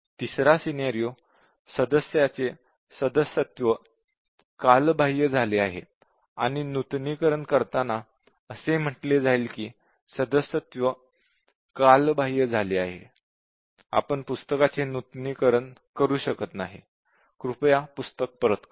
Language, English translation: Marathi, The third scenario, may be the membership of the member had expired and when renewing, it said that, the membership has expired; you cannot renew the book; please return the book